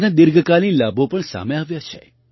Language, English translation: Gujarati, Its long term benefits have also come to the fore